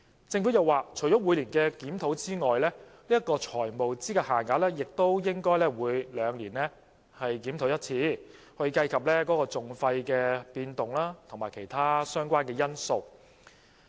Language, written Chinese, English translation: Cantonese, 政府又說，除了每年的檢討之外，財務資格限額亦應該每兩年檢討一次，以計及訟費的變動及其他相關因素。, The Government also indicates that apart from the annual review a biennial review of FELs should also be conducted to take into account changes in litigation costs and other relevant factors